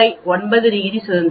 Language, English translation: Tamil, 05, 9 degrees of freedom you get 1